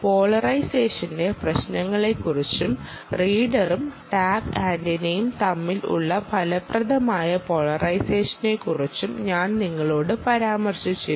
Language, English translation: Malayalam, i mentioned to you about the problems of polarization and the effective polarization between the reader and the tag antenna and therefore, if you want better reading, you use this type of tag